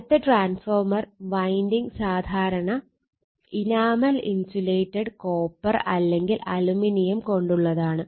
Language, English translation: Malayalam, Now, next this transformer winding usually of enamel insulated copper or aluminium